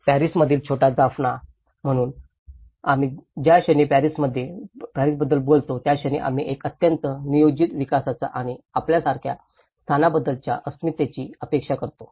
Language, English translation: Marathi, The little Jaffna in Paris, so the moment we talk about the Paris, we think of a very planned development and our expectation of a place identity if it looks like this